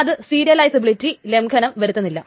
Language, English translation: Malayalam, So, without violating the serializability